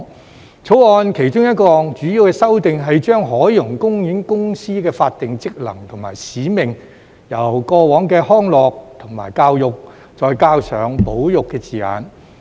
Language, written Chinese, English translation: Cantonese, 《條例草案》其中一項主要修訂是將海洋公園公司的法定職能和使命，由過往的"康樂"及"教育"，再加上"保育"的字眼。, One of the major amendments in the Bill is to add the word conservation to the statutory functions and mission of the Ocean Park Corporation alongside the existing recreation and education